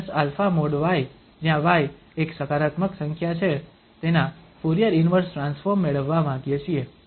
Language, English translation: Gujarati, So here, we want to get the Fourier inverse transform of e power minus alpha y where y is a positive number